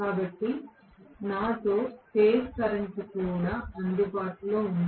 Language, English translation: Telugu, So, phase current is also available with me